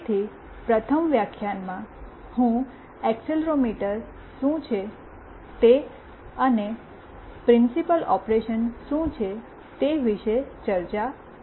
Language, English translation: Gujarati, So, in the first lecture, I will be discussing about accelerometer what it is and what is the principle operation